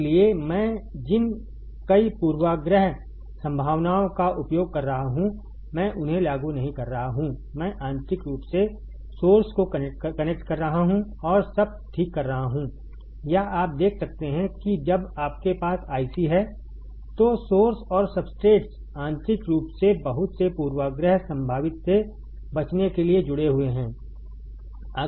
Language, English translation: Hindi, So, many bias potentials I am using I am not applying I am internally connecting the source and substrate all right or you can see that when you have I c, the source and substrates are internally connected to avoid too many bias potential